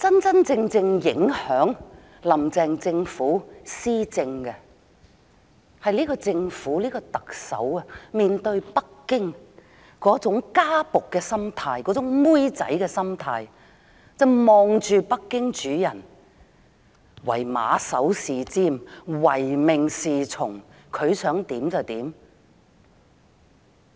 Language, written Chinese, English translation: Cantonese, 真正影響"林鄭"政府施政的，是政府和特首面對北京的家僕和婢女心態，以北京主人為馬首是瞻、唯命是從，他們想怎樣便怎樣。, What indeed has an influence on the administration of the Carrie LAM Administration is the mentality of being a servant and maid upheld by the Government and the Chief Executive before Beijing . They just follow the lead of their masters in Beijing observe absolute obedience and do everything as told